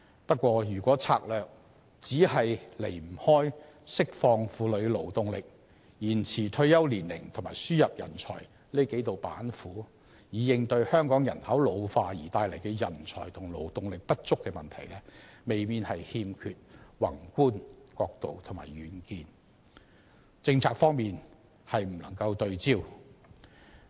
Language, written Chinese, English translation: Cantonese, 不過，如果策略離不開釋放婦女勞動力、延遲退休年齡及輸入人才這幾道板斧，以應對香港人口老化帶來的人才和勞動力不足問題，未免欠缺宏觀角度及遠見，政策方面亦未能對焦。, Nevertheless if the strategies invariably involve such approaches as unleashing the working potential of women extending the retirement age and importing talents in order to address the talent and labour shortages arising from an ageing population in Hong Kong a macro perspective and foresight seem to be missing with policies being off target